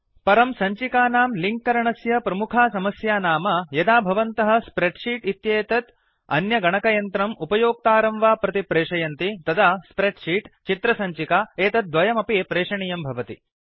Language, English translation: Sanskrit, However, one major Disadvantage of linking the file is that, Whenever you want to send this spreadsheet to a different computer or user, You will have to send both, the spreadsheet as well as the image file